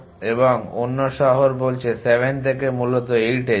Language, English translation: Bengali, And other city says go to 8 essentially from 7